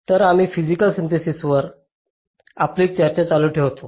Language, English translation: Marathi, so we continue with our discussion on physical synthesis